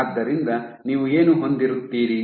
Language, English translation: Kannada, So, what you will have